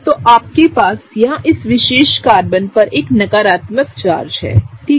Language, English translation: Hindi, So, what you have here is a negative charge on this particular Carbon, okay